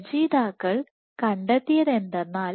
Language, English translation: Malayalam, So, what the authors found